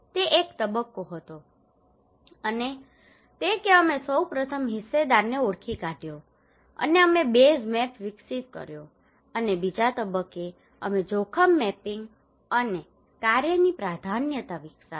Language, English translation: Gujarati, That was the phase one and that we first identified the stakeholder and we developed a base map and also Phase two we developed a risk mapping and prioritisation of work